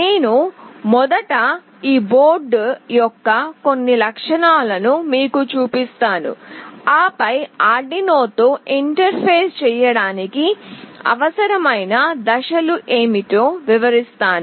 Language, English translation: Telugu, I will just show you some of the features of this board first and then what are the steps that are required to actually interface with Arduino